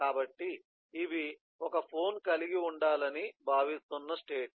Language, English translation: Telugu, so these are the states that a phone is expected to be in